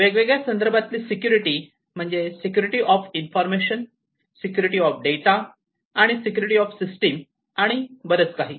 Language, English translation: Marathi, So, security in terms of everything, security of information, security of data security of the systems and so on